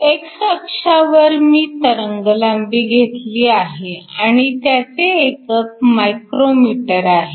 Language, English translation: Marathi, I have wavelength on x axis, the units is micrometers 0